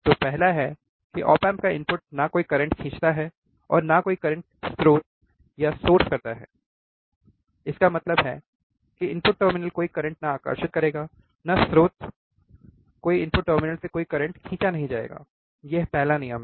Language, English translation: Hindi, So, first is the input to the op amp draw or source no current; that means, that the input terminals will draw or source, no current there will be no current drawn from the input terminals, that is first rule